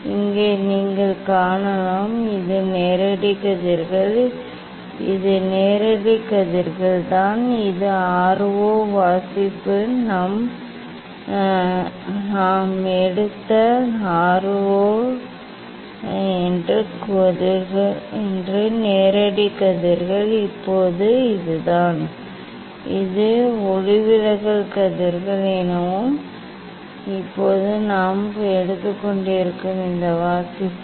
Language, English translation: Tamil, here you can see this is the direct rays, this is the direct rays, this is the direct rays that R 0 reading is R 0 that we have taken, now this is the; this is the refracted rays So now, this reading we are taking that is R 1